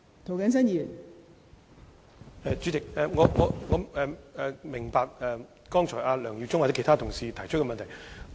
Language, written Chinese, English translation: Cantonese, 代理主席，我明白梁耀忠議員或其他同事剛才提出的問題。, Deputy Chairman I appreciate the question raised by Mr LEUNG Yiu - chung or other colleagues just now